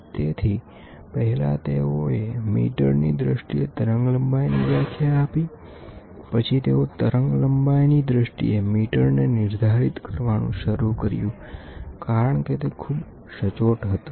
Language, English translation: Gujarati, So, first they defined the wavelength in terms of metres, then they started defining the metre in terms of wavelength because it was very accurate